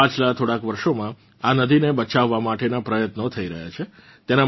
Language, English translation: Gujarati, Efforts have started in the last few years to save this river